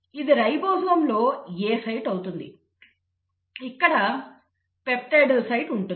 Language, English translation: Telugu, This becomes the A site in the ribosome; this is where is the peptidyl site